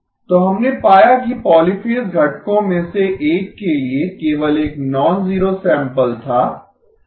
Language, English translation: Hindi, So what we found was that only one nonzero sample was there for one of the polyphase components